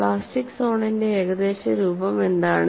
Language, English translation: Malayalam, What is the approximate shape of plastic zone